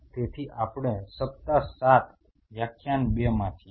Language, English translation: Gujarati, So, we are into week 7 lecture 2